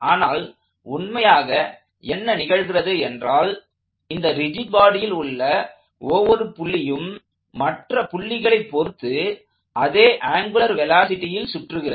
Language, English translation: Tamil, But, what actually is happening is that every point on the rigid body is rotating about every other point on the rigid body with exactly the same angular velocity